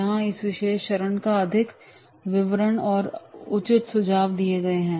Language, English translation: Hindi, Here the more detailing of these particular steps are there and the appropriate tips are given